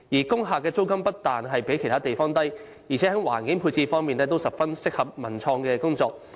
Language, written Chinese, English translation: Cantonese, 工廈租金不但比其他地方低，而且在環境配置方面也十分適合進行文化及創意工作。, Rentals of industrial buildings are not only lower than other premises; their configurations are also suitable for the cultural and creative usage